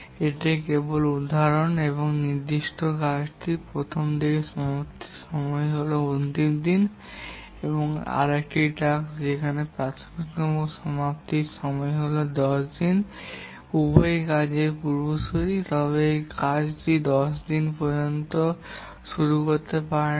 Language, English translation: Bengali, If certain tasks the earliest finish time is day 7 and another task where the earliest finish time is day 10 and both are the predecessors of this task, then this task cannot start until day 10